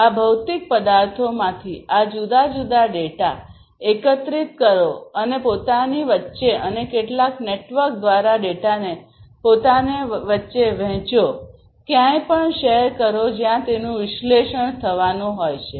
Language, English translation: Gujarati, The second thing is that it is very important to collect these different data from these physical objects and share between themselves between themselves and also share the data through some network to elsewhere where it is going to be analyzed